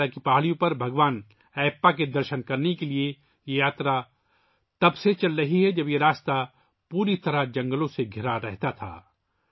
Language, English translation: Urdu, This pilgrimage to seek Darshan of Bhagwan Ayyappa on the hills of Sabarimala has been going on from the times when this path was completely surrounded by forests